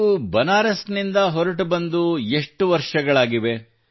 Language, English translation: Kannada, So how many years have passed since you left Banaras